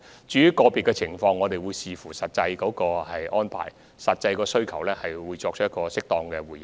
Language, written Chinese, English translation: Cantonese, 至於個別情況，我們會視乎實際安排和需求作出適當回應。, As for individual cases we will give a response where appropriate based on actual arrangements and demands